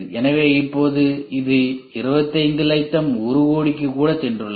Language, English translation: Tamil, So, now, it has gone even to 25 lakhs, 1 crore